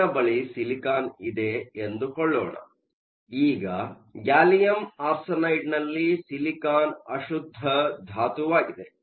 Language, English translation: Kannada, Let us say I have silicon, now silicon is an impurity in gallium arsenide